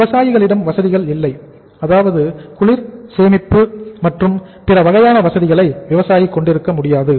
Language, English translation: Tamil, Farmer’s say facilities are not means farmer is not able to have the facilities like of the cold storage and other kind of things